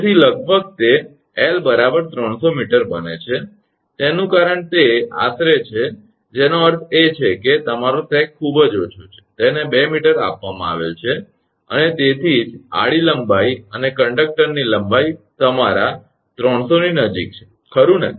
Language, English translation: Gujarati, 0 something right 0 0 something why I have written; that means, your sag is very small it is given 2 meter, and that is why that horizontal length and the length of the conductor length almost close to your 300 L 1 L right